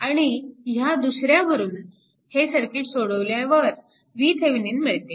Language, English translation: Marathi, After after solving this, you find out V Thevenin